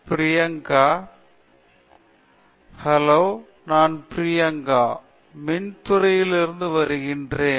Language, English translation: Tamil, Hello I am Priyanka, I am from Electrical Department